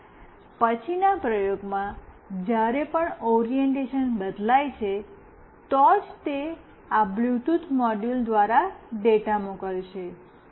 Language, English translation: Gujarati, And in the next program whenever the orientation changes, then only it will send the data through this Bluetooth module